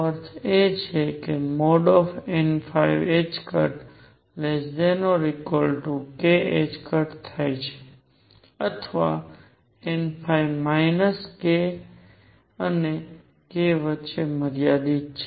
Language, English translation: Gujarati, Or n phi is confined between minus k and k